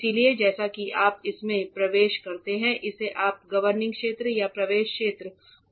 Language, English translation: Hindi, So, as and when you enter this is what you call the governing area or the entry area into the cleanroom